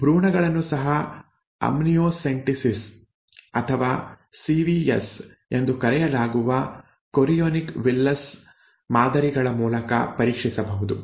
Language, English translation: Kannada, Even foetuses can be tested through procedures called amniocentesis or chorionic villus sampling called CVS